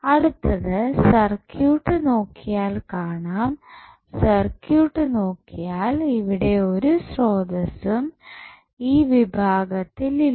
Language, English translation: Malayalam, Now, what is next, next if you see the circuit, if you see the circuit here you will say there is no source available in this segment